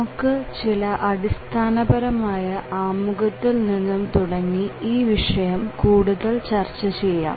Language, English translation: Malayalam, Today we will start with some basic introduction and then we will build on this topic